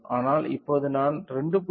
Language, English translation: Tamil, But now I got a 2